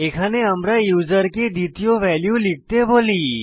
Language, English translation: Bengali, Here we ask the user to enter the second number